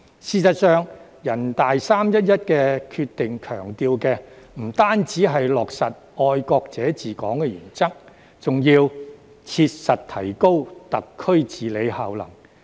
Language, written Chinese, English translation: Cantonese, 事實上，人大"三一一"決定強調的，不單是落實"愛國者治港"原則，還要"切實提高特區治理效能"。, As a matter of fact the 11 March Decision of NPC emphasizes not only the implementation of the principle of patriots administering Hong Kong but also the need to effectively improve the governance efficacy of SAR